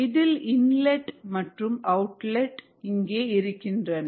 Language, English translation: Tamil, there is an inlet here, there is an outlet here